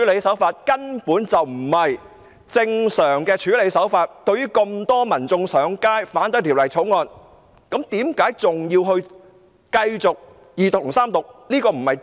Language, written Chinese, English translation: Cantonese, 這根本不是正常的處理手法，這麼多民眾上街反對《條例草案》，為何特首還要繼續二讀和三讀？, This simply was not the normal way to handle the matter . With so many people having taken to the streets to oppose the Bill why would the Chief Executive push for the Second and Third Readings?